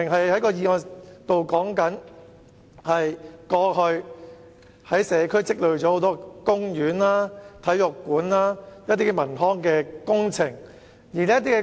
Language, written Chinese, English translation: Cantonese, 我的議案其實與社區有待進行的公園、體育館等康文工程有關。, Actually my motion is related to the leisure and cultural projects to be undertaken in the community such as those related to parks stadia and so on